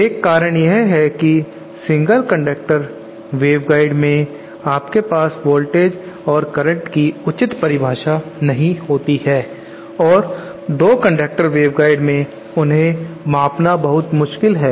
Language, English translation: Hindi, One reason is because in single conductor waveguides you cannot have a proper definition of voltages and currents and in two conductor wave guides they are very difficult to measure